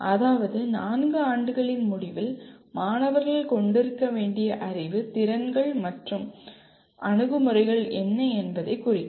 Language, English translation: Tamil, That means just at the end of 4 years these represent what is the knowledge, skills and attitudes they should have